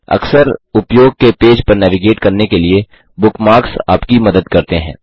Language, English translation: Hindi, Bookmarks help you navigate to pages that you use often